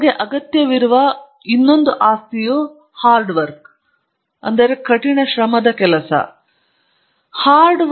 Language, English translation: Kannada, Then third property you need is capacity for hard work